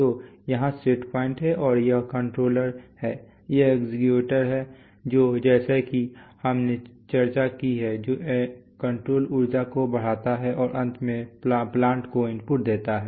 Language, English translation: Hindi, So here is the set point and this is the controller, this is the actuator, which, as we have discussed, which increases the control energy and finally gives input to the plant